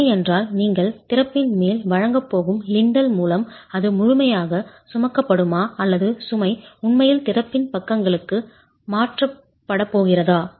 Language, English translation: Tamil, The load is then, is it going to be completely carried by a lintel that you are going to provide over the opening or is the load actually going to get transferred to the sides of the opening